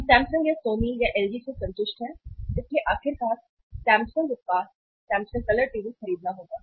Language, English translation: Hindi, We are satisfied with the Samsung or Sony or LG so ultimately have to buy Samsung product, Samsung colour TV